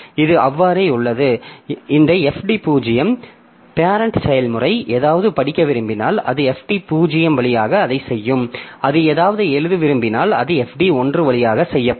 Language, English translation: Tamil, So, this is so, so this FD 0, the parent process if you want, when it wants to read something, so it will be doing it via FD 0